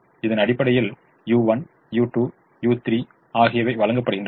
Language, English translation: Tamil, so u one, u two, u three are also given